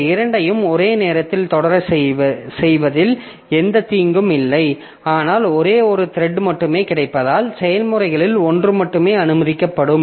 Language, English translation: Tamil, So, that way, so these two as such there is no harm in making them to proceed simultaneously, but since only one thread is available, only one of the processes will be allowed to proceed